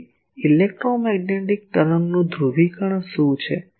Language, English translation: Gujarati, So, what is the polarisation of the, of an electromagnetic wave